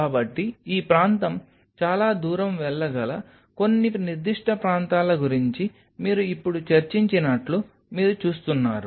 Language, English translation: Telugu, So, you see as of now you have discussed about some of the specific areas this area may go a long way